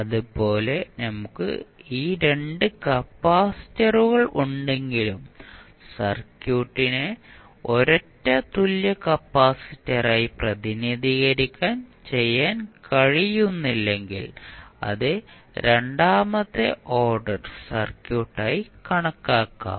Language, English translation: Malayalam, Now, if you have a 2 inductors and you cannot simplify this circuit and represent as a single inductor then also it can be considered as a second order circuit